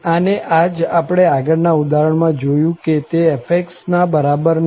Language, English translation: Gujarati, And, this is what we have seen in the earlier example itself that this is not equal to f